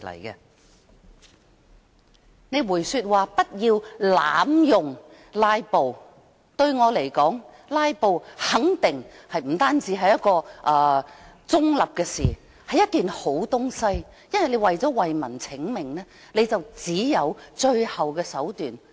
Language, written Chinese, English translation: Cantonese, 談到他說不要濫用"拉布"，但對我而言，"拉布"不單是一件中立事情，更肯定是一件好東西，因為想為民請命，就要使用到這最後手段。, He asks us not to abuse the practice of filibustering but to me not only is filibustering something neutral it is also something good . If one wants to fight for the interests of the people he has to use this last resort . Some people misunderstand this concept